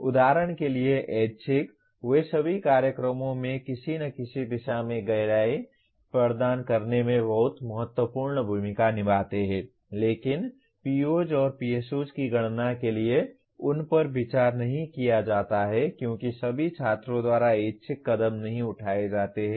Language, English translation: Hindi, For example electives, they play very important role in providing depth in some direction in all programs but they are not considered for computing the POs and PSOs as by the very nature electives are not taken by all students